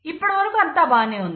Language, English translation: Telugu, Everything is fine so far so good